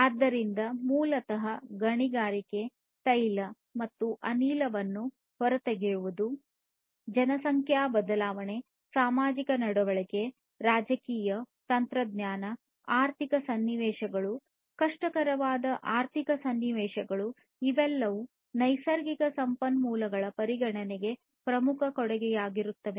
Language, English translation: Kannada, So, basically concerns about too much of mining too much of extraction of oil and gas, demographic shifts, societal behavior, politics, technology, economic situations, difficult economic situations all of these are major contributors in terms of the consideration of natural resources